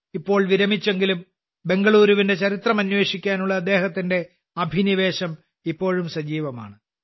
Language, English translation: Malayalam, Though he is now retired, his passion to explore the history of Bengaluru is still alive